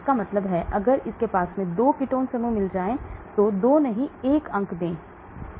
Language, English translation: Hindi, that means if it has got 2 ketone groups do not give 2 marks just give 1